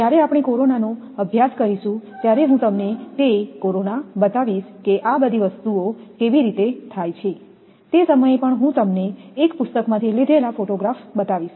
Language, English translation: Gujarati, When we will study corona, I will show you that corona how things are happening, at that time also due to I will take from a book the photograph they have taken at that time I will show you